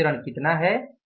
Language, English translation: Hindi, So, what is the variance here